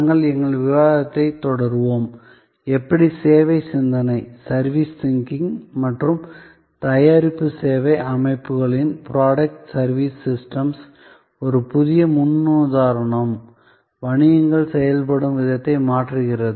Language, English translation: Tamil, We will continue our discussion, how service thinking and a new paradigm of product service systems are changing the way businesses are done